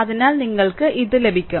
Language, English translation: Malayalam, So, you will get this thing